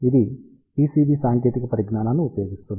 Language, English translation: Telugu, Since, it uses of PCB technology